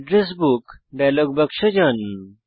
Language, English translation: Bengali, Go to the Address Book dialog box